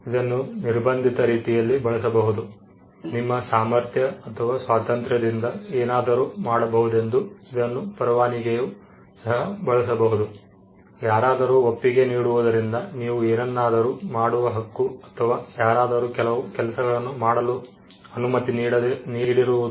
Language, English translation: Kannada, It could be used in the sense of a liberty, your ability or freedom to do something, it could also be used in the sense of a license, your right to do something because somebody has given a consent, or somebody has been allowed to do certain things